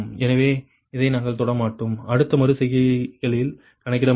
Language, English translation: Tamil, so this we will not touch, we will not compute in the next iterations